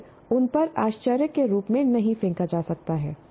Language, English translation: Hindi, It cannot be thrown at them as a surprise